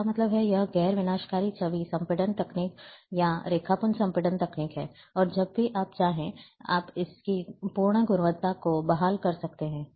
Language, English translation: Hindi, That means, you can, this is non destructive image compression technique, or Raster compression technique, and you can restore to its full quality, anytime whenever you want